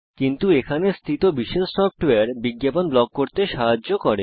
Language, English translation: Bengali, But there are specialized software that help to block ads